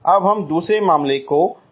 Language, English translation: Hindi, Now we look at the another case